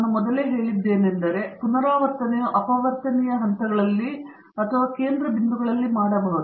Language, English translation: Kannada, I said earlier that, the repeats may be performed at the factorial points or at the centre points